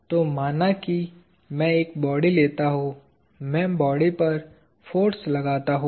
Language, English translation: Hindi, So, let us say I take a body; I exert forces on the body